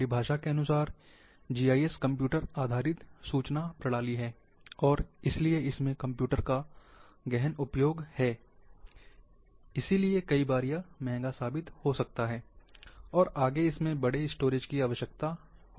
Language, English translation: Hindi, By definition, GIS is computer based information system, and therefore, it is computer intensive, and hence many times can be have proved expensive, further requires big storage as well